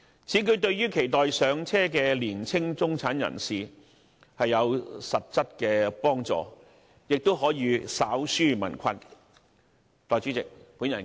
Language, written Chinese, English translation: Cantonese, 此舉對於期待"上車"的年輕中產人士有實質幫助，亦可稍紓民困。, This can offer tangible assistance to young middle - class people aspiring to home ownership and slightly alleviate the plight of the public